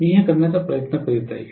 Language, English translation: Marathi, That is all I am trying to do